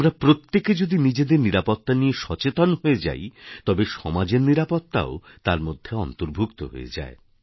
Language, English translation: Bengali, If all of us become conscious and aware of our own safety, the essence of safety of society will be inbuilt